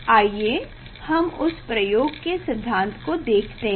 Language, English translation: Hindi, let us see the theory of that experiment